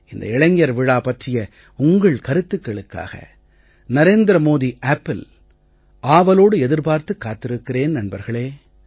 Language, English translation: Tamil, So I will wait dear friends for your suggestions on the youth festival on the "Narendra Modi App"